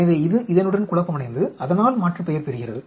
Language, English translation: Tamil, So, this is confounded with this and so aliasing